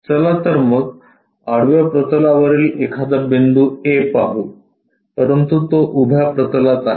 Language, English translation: Marathi, Let us look at if a point A above horizontal plane, but it is on vertical plane